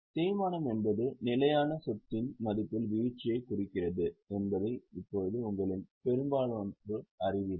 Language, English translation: Tamil, Now, most of you know that depreciation refers to fall in the value of fixed asset